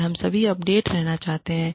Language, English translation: Hindi, And, we all want to stay, updated